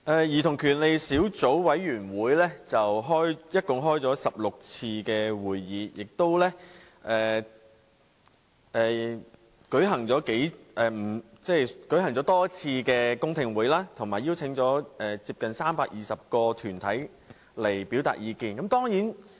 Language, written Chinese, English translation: Cantonese, 兒童權利小組委員會共進行了16次會議，亦舉行過多次公聽會，以及邀請接近320個團體前來表達意見。, The Subcommittee on Childrens Rights has held a total of 16 meetings and a number of public hearings and has invited 320 deputations to express their views